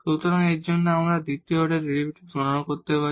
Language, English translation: Bengali, So, for that we need to compute now the second order derivatives